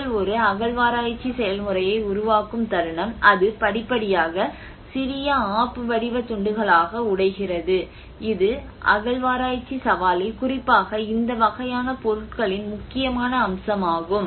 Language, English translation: Tamil, The moment you are making an excavation process, it gradually brokes into small wedge shaped pieces you know, that is one of the important aspect in the excavation challenges and excavation challenge especially with this kind of material